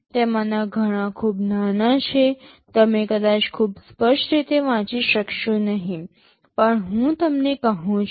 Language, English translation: Gujarati, Many of them are very small you may not be able to read very clearly, but I am telling you